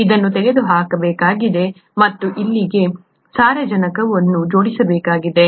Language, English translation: Kannada, This one needs to be removed and this one needs to go and attach to nitrogen here